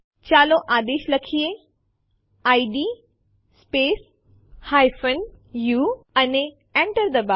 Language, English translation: Gujarati, Let us type the command, id space u and press enter